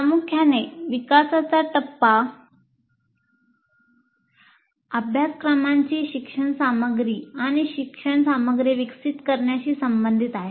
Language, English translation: Marathi, Essentially the development phase is concerned with developing instructional material and learning material as of the course